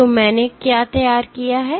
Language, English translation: Hindi, So, what I have drawn in the